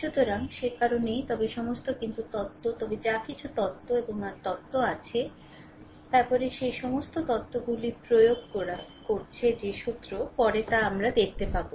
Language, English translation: Bengali, So, that is why, but all, but theory, but whatever theories and your theorems, then laws whatever you are applying all this theorems will see later right